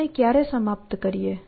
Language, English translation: Gujarati, When do we terminate